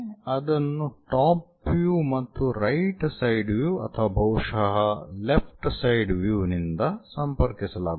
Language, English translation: Kannada, That will be connected by top and right side views or perhaps left side views